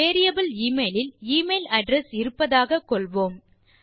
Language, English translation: Tamil, Lets say the variable email has the email address